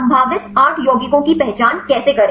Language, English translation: Hindi, How to identify the potential 8 compounds